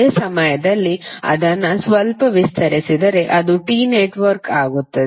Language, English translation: Kannada, At the same time, you could also, if you stretch it a little bit, it will become a T network